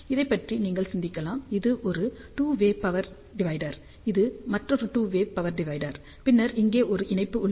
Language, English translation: Tamil, So, you can think about this is nothing but a two way power divider another two way power divider and then there is a connection here